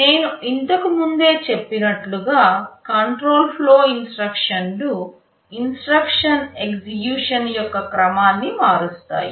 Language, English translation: Telugu, As I had said earlier, control flow instructions are those that change the sequence of instruction execution